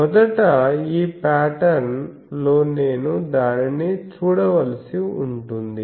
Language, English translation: Telugu, So, first in this pattern, I will have to look at that